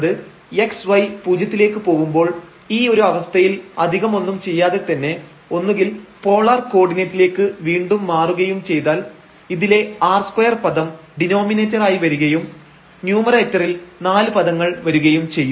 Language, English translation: Malayalam, So, when f x y when x y goes to 0 and in this case without doing much so, we can either change again to polar coordinate then r square term will be coming in the denominator and here in numerator there will be a 4 terms